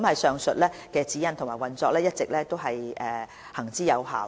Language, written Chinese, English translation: Cantonese, 上述的指引和運作模式一直行之有效。, The aforementioned Guidelines and mode of operation are proven